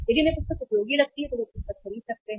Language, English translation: Hindi, If they find the book useful they can buy the book